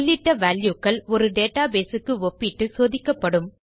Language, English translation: Tamil, The entered values will be checked against a database